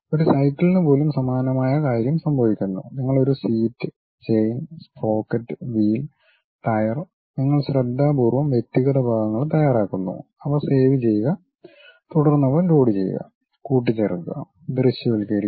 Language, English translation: Malayalam, Similar thing happens even for cycle, you prepare something like a seat, chain, sprocket, wheel, tire, individual parts you carefully prepare it, save them, then load them, assemble them and visualize the objects